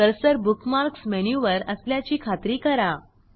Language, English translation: Marathi, * Ensure that the cursor is over the Bookmarks menu